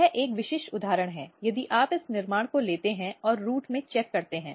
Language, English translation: Hindi, This is a typical example if you take this construct and check in the root